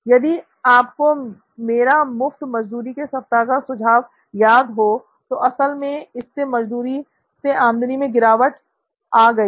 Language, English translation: Hindi, If you remember my solution, just to have free labour week and that week I actually lost revenue from labour